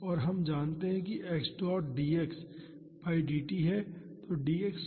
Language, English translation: Hindi, And, we know that x dot is dx by dt